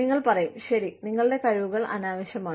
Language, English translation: Malayalam, You will say, okay, your skills are redundant